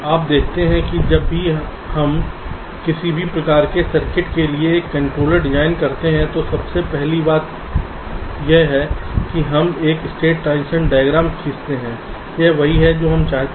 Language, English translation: Hindi, you see, whenever we design a controller for any kind of circuit, with the first thing we do is that we draw a state transition diagram